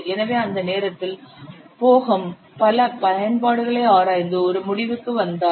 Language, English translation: Tamil, So that point, Bohem has studied many applications and he has concluded this